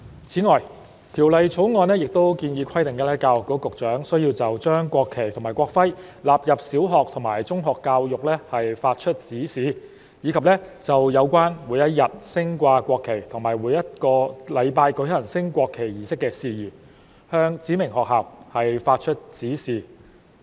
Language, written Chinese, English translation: Cantonese, 此外，《條例草案》亦建議，規定教育局局長須就將國旗及國徽納入小學及中學教育發出指示；以及就有關每日升掛國旗及每周舉行升國旗儀式的事宜，向指明學校發出指示。, Moreover the Bill also proposes that the Secretary for Education should be required to give directions for the inclusion of the national flag and national emblem in primary and secondary education and for matters relating to the daily display of the national flag and the weekly conduct of a national flag raising ceremony to specified schools